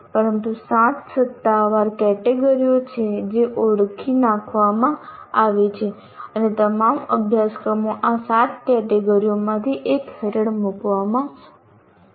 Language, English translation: Gujarati, These are the officially the categories that are identified, the seven categories and all courses will have to be put under one of these seven categories